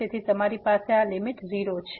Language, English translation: Gujarati, So, you have this limit as 0